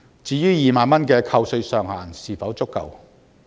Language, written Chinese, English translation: Cantonese, 至於2萬元的扣稅上限是否足夠？, Is the tax reduction with a ceiling of 20,000 adequate?